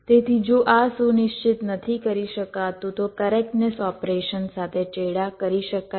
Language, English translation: Gujarati, so if this cannot be ensured, then the correctness operations can be compromised